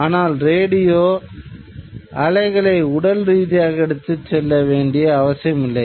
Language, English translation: Tamil, Radio waves do not have to be physically carried in